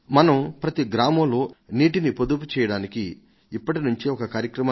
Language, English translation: Telugu, Can we start a drive to save water in every village from now on itself